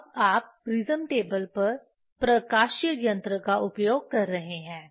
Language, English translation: Hindi, When you are using optical table on the prism table